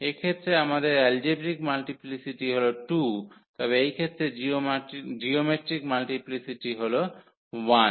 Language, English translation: Bengali, In this case we have the algebraic multiplicity 2, but geometric multiplicity is just 1 in this case